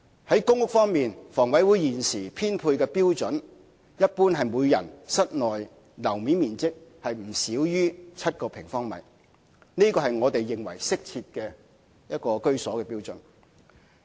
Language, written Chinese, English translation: Cantonese, 在公屋方面，房委會現時的編配標準一般是人均室內樓面面積不少於7平方米。我們認為這是適切居所的標準。, In respect of PRH HKHAs current allocation standard for PRH is no less than 7 sq m internal floor area per person which is considered an appropriate standard